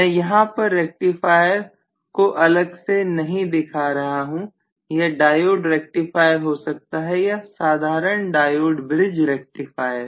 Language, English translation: Hindi, So I am not showing the rectifier explicitly the circuit here it can be a diode rectifier, simple diode bridge rectifier